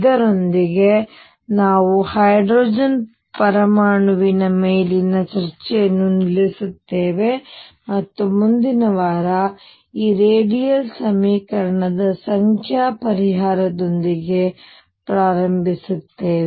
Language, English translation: Kannada, With this we stop the discussion on hydrogen atom, and next week we will begin with numerical solution of this radial equation